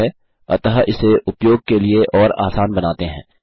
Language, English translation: Hindi, Okay so lets make it more user friendly for you and me